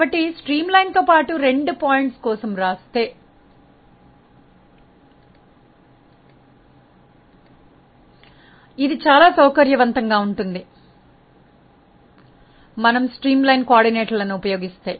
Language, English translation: Telugu, So, if we write it for 2 points along a streamline it may be very convenient, if we use the streamline coordinates